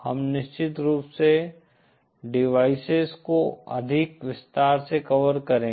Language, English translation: Hindi, We will of course cover devices in more detail